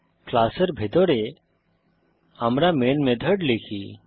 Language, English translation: Bengali, Inside the class, we write the main method